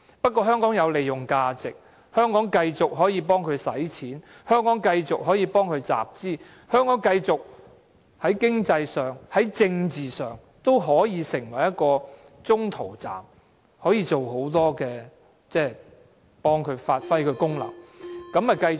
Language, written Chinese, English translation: Cantonese, 不過，香港有利用價值，可以繼續替它花錢、集資，香港在經濟和政治上都可以成為中途站，可以幫助它發揮功能，於是便繼續。, But Hong Kong still has its values . It can continue to be a place for the Central Authorities to spend and collect money . We can be an economic and political gateway for it to achieve its aims